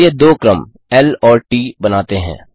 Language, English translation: Hindi, Lets create two sequences L and t